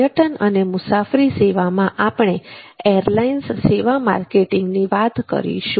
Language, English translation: Gujarati, tourism and travel services let us now look at the travel service marketing